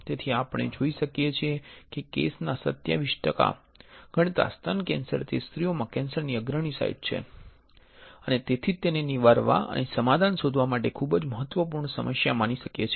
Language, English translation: Gujarati, So, what we can see is that breast cancer is a leading site of cancer in women accounting women accounting for 27 percent of the cases and that is why a very important problem to address and to find a solution